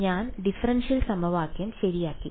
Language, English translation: Malayalam, I ended up with the differential equation right